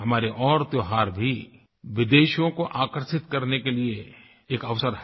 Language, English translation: Hindi, Other festivals of our country too, provide an opportunity to attract foreign visitors